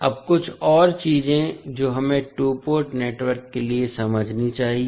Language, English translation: Hindi, Now, few more things which we have to understand in for two port network